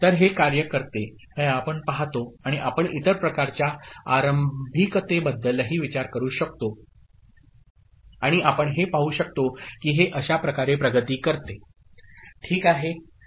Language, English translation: Marathi, So, this is the way we can see that it works and you can think of other kind of initialisation also and we can see that it is it progresses in this manner, ok